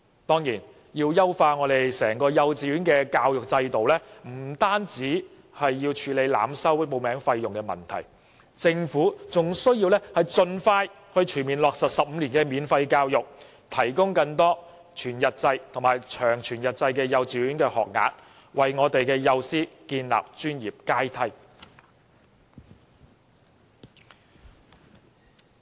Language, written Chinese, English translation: Cantonese, 當然，要優化整個幼稚園教學制度，不僅要處理濫收報名費的問題，政府還要盡快全面落實15年免費教育，提供更多全日制及長全日制幼稚園學額，並為幼師建立專業階梯。, Of course the fine - tuning of our pre - primary education system as a whole involves more than tackling the problem of over - charging application fees by kindergartens . The Government should also implement 15 - year free education as soon as possible provide additional whole - day and long whole - day kindergarten places and establish a professional ladder for kindergarten teachers